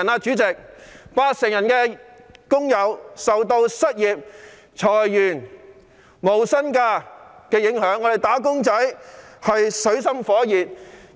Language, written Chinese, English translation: Cantonese, 主席，八成受訪者表示受到失業、裁員及無薪假的影響，"打工仔"處於水深火熱之中。, Chairman 80 % of the respondents replied that they were affected by unemployment layoffs and no - pay leave and wage earners are living in dire straits